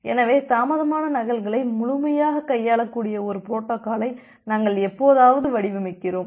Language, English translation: Tamil, So, it is just like that sometime, we design a protocol which will completely be able to handle the delayed duplicates